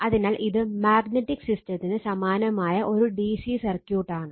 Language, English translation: Malayalam, So, it is a DC circuit analogous of magnetic system right